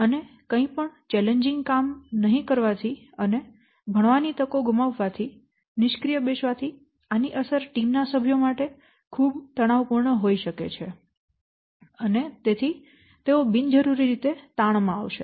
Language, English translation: Gujarati, So the feeling of not doing anything challenging and missing out on the learning opportunity, sitting ideal and impact of these on the future career can be very stressful for the team members and they will be unnecessarily stressed